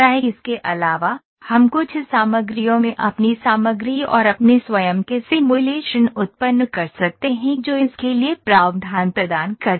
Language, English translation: Hindi, Also we can generate our own material and our own simulations in certain software that provide the provision for this